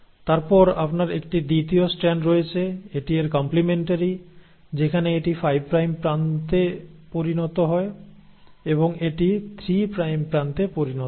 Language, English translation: Bengali, And then you have a second strand which is complementary to it, where this becomes the 5 prime end and this becomes the 3 prime end